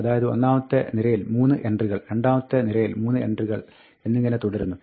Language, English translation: Malayalam, So, it will be 3 entries for the first row; then, 3 entries for the second row, and so on